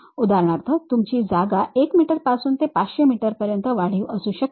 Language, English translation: Marathi, For example, your space might be from 1 meter to extend it to something like 500 meters